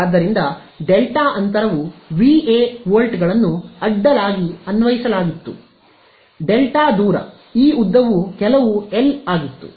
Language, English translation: Kannada, So, delta gap was Va volts applied across the distance of delta right, this length was some capital L right